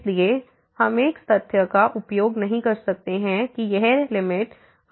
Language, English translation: Hindi, So, we cannot use that fact that this limit as goes to 0 is 0